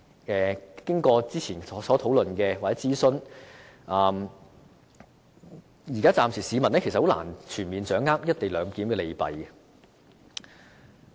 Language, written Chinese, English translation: Cantonese, 經過之前的討論和諮詢，市民暫時仍然難以全面掌握"一地兩檢"的利弊。, After the previous discussions and consultation the public are still unable to fully grasp the pros and cons of the co - location arrangement